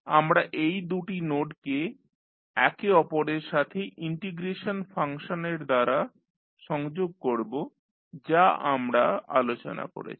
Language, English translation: Bengali, We will connect these two nodes with each other with the help of the integration function which we discussed